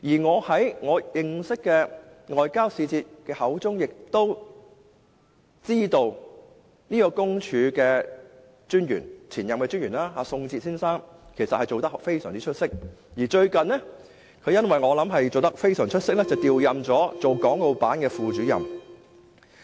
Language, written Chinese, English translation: Cantonese, 我從認識的外交使節口中亦得知，特派員公署的前任特派員宋哲先生的表現非常出色，而我想亦基於這個原因，他最近被調任為國務院港澳事務辦公室副主任。, According to the diplomatic envoy whom I am acquitted with Mr SONG Zhe the former Commissioner had outstanding performance and I believe that owing to this reason he is recently appointed Deputy Director of the Hong Kong and Macao Affairs Office of the State Council